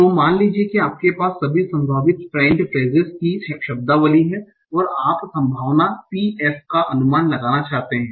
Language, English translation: Hindi, So suppose you have a vocabulary of all possible French phrases, and you want to estimate probability PF